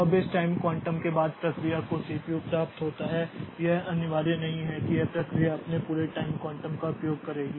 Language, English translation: Hindi, Now this time quantum for which the process gets the CPU it is not mandatory that the process will use its entire time quantum